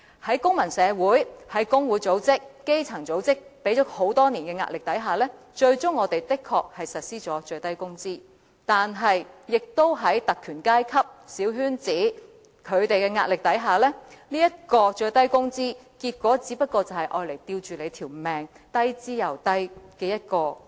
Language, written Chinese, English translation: Cantonese, 在公民社會、工會組織、基層組織多年施壓下，本港最終確實實施了最低工資，但在特權階級、小圈子的壓力下，最低工資只能維持在一個"吊命"、低之又低的水平。, While it desires to win commendation with bold actions it chooses to put on the safety helmet to play safe . Under the pressure of the civil society trade unions and grass - root organizations the minimum wage was implemented in Hong Kong eventually . However subject to the pressure from the privileged class and the small coterie the minimum wage rate can only be set at an extremely low level just sufficient for maintaining subsistence